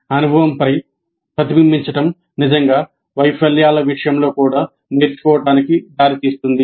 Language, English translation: Telugu, So reflection on the experience could really lead to learning even in the case of failures